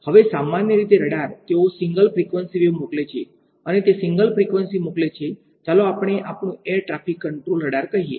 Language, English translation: Gujarati, Now, typically radars, they send a single frequency wave right its sending a single frequency, let us say our air traffic control radar